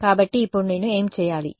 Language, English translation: Telugu, So, now, what should I do